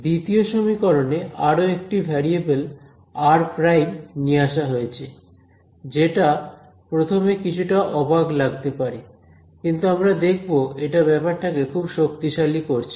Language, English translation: Bengali, The second equation now I have introduced one more variable r prime ok, which will seem little strange at first, but will see it will make life very powerful